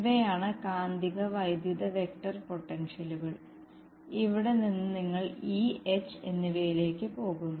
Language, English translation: Malayalam, These are magnetic and electric vector potentials and from here you go to E and H